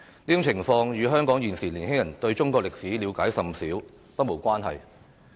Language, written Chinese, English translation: Cantonese, 上述情況與香港現時年輕人對中國歷史了解甚少不無關係。, The aforesaid situations are in a way attributable to Hong Kong youngsters current lack of understanding of Chinese history